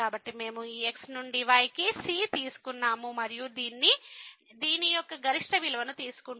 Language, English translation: Telugu, So, we have taken the from this to and we will take the maximum value of this one